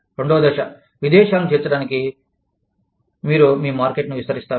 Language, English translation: Telugu, Stage two, you expand your market, to include foreign countries